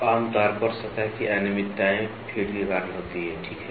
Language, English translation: Hindi, So, generally the surface irregularities are because of feed, ok